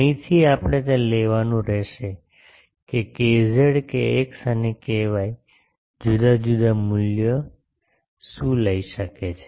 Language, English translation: Gujarati, From here we will have to take that what are the different values k z k x and k y can take